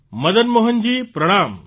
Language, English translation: Gujarati, Madan Mohan ji, Pranam